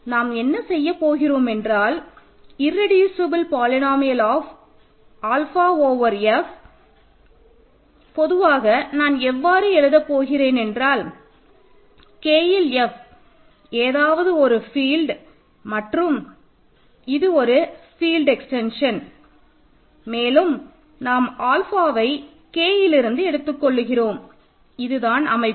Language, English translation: Tamil, So, what is in another words what are we really doing here, the irreducible polynomial of alpha over F in, I mean now I am writing in general capital F is any field K is a field extension and we have alpha in K that is the setup